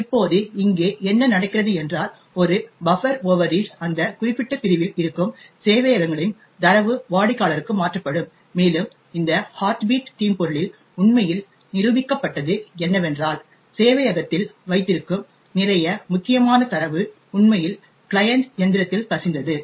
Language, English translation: Tamil, Now what is happening here is that there is a buffer overread and the servers data present in that particular segment gets transferred to the client and what was actually demonstrated in this heartbeat malware was that a lot of sensitive data held in the server was actually leaked to the client machine